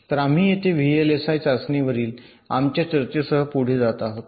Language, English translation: Marathi, so here we continue with our discussion on v l s i testing